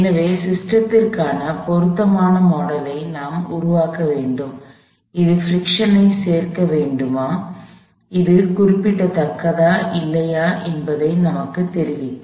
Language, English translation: Tamil, We have to develop the appropriate model for the system, which would tell us whether we do need to include friction, whether it is significant or not